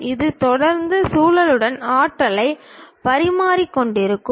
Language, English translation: Tamil, It is continuously exchanging energy with the surroundings